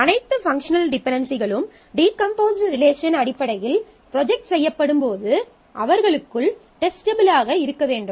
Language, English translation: Tamil, So, all functional dependencies when they are projected in terms of the decomposed set of relations; they must be testable within them